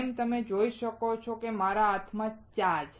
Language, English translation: Gujarati, As you can see, I have tea in my hand